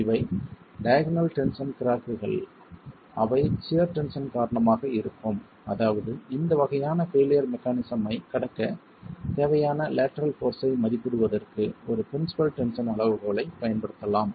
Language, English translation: Tamil, And these are diagonal tension cracks, they are due to shear tension, which means we can actually use a principal tension criterion to estimate the lateral force required to cost this sort of a failure mechanism